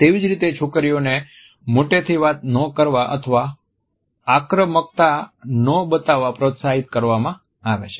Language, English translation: Gujarati, Similarly girls are encouraged not to talk loudly or to show aggression